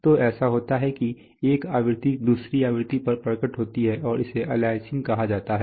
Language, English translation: Hindi, So, so that is what is, so that is what happens one frequency appears on another frequency and that is called aliasing